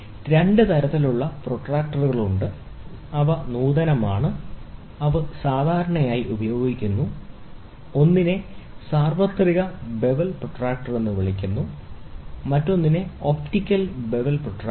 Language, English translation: Malayalam, There are two types of protractors, which are advanced, which is generally used; one is called as universal bevel protractor, the other one is optical bevel protractor